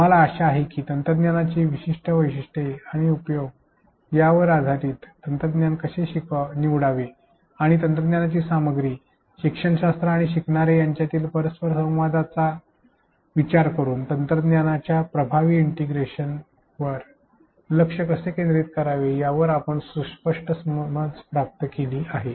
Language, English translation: Marathi, We hope that you have gained a fair understanding on how to select a technology based on its unique features and affordances and how to focus on effective integration of technology considering the interaction between technology content, pedagogy and the learners